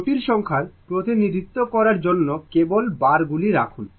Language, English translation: Bengali, It just to represent complex number you put Z bar